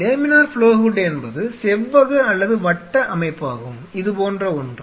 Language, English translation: Tamil, Laminar flow hood is essentially rectangular or circular structure which where the airs